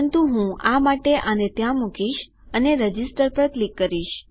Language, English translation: Gujarati, But I will just put them there for the sake of it and click Register